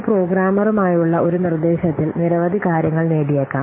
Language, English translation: Malayalam, In one instruction, the programmer may achieve several things